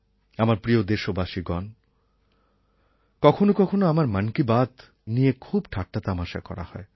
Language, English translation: Bengali, My dear countrymen, sometimes my 'Mann Ki Baat' is ridiculed a lot and is criticized much also